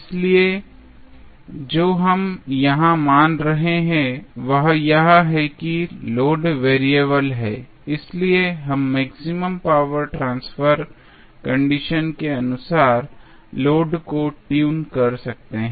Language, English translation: Hindi, So, what we are assuming here is that the load is variable, so, that we can tune the load in accordance with the maximum power transfer condition